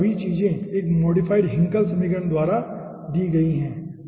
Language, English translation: Hindi, so all these things are given by a modified hinkle equations